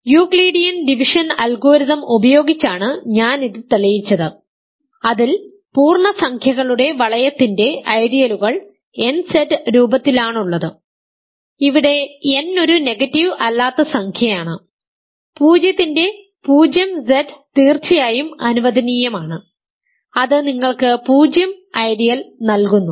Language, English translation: Malayalam, So, I proved this using Euclidean division algorithm that ideals of the ring of integers are of the form nZ, where n is a non negative integer, remember that 0 of course, is allowed 0Z gives you the 0 ideal